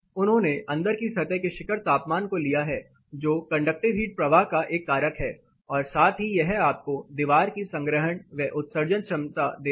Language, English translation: Hindi, They have taken inside peak surface temperature which is a factor of here conductive heat flow as well as it gives you the capacity storage and limiting capacity of the wall